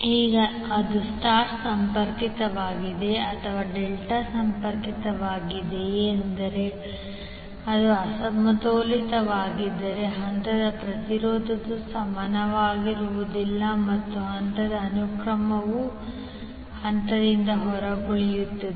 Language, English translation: Kannada, Now whether it is star connected or delta connected will say that if it is unbalanced then the phase impedance will not be equal and the phase sequence will also be out of phase